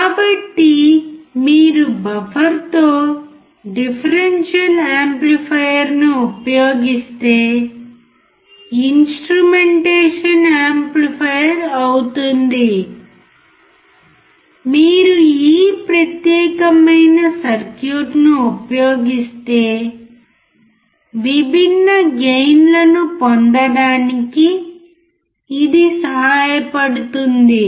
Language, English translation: Telugu, So, if you use differential amplifier with buffer makes instrumentation amplifier, if you use this particular circuit, then it will help to have different gain you can change the gain